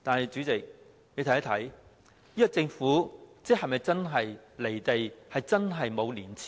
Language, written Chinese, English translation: Cantonese, 主席，你說政府是否真的"離地"和沒有廉耻？, Chairman the Government is really detached from reality and shameless is it not?